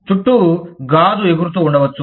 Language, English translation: Telugu, May be, glass flying around